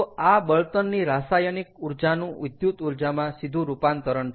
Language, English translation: Gujarati, so this is conversion of chemical energy from a fuel directly into electricity